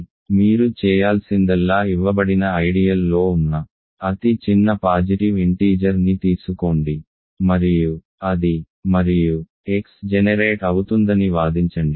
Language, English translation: Telugu, So, what you need to do is take the smallest positive integer that is contained in a given ideal and argue that that and X will generated